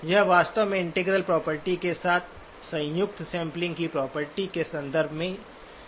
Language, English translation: Hindi, It is actually stated in terms of the sampling property combined with the integral property